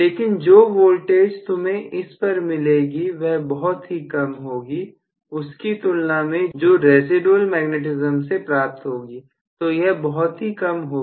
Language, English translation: Hindi, But the voltage what you are getting is miniscule compare to what you got in the residual magnetism, so it is going to be really really small